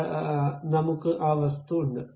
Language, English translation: Malayalam, So, I have that object